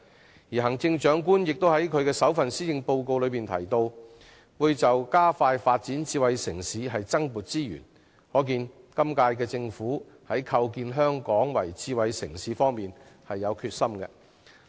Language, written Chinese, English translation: Cantonese, 同時，行政長官在其首份施政報告中提到，為了加快發展智慧城市會增撥資源，可見今屆政府有決心把香港構建成為智慧城市。, Meanwhile the Chief Executive has mentioned in her maiden Policy Address that additional resources will be allocated to expediting smart city development . This shows that the current - term Government is committed to building Hong Kong into a smart city